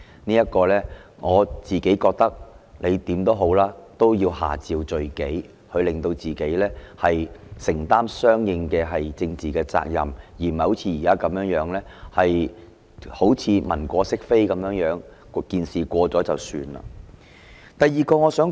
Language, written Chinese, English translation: Cantonese, 我個人認為，無論如何，他也要下詔罪己，讓自己承擔相應的政治責任，而不是現在如文過飾非般，等待事件結束便算。, In my personal view no matter how he should officially take the blame and bear the corresponding political responsibilities instead of whitewashing the incident till it is over as he is doing now